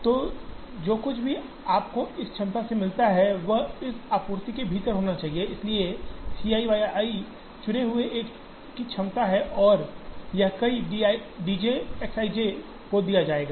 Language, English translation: Hindi, So, whatever you get from this capacity, should also be within what this supplies, so this C i y i is the capacity of the chosen one and this is given to several D j X i j